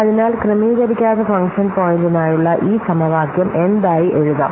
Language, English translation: Malayalam, So, this formula for on adjusted function point can be written as what